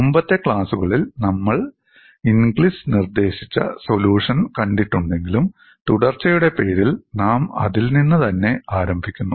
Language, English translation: Malayalam, Although we have seen in the earlier classes, the solution by Inglis, for the sake of continuity we will start with that